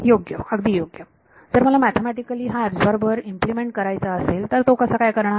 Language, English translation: Marathi, So, so that is the hint how do I implement this absorber mathematically